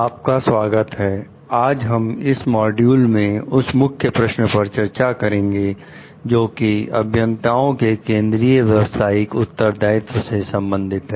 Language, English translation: Hindi, In today s module, we are going to discuss about the Key Questions related to the Central Professional Responsibilities of the Engineers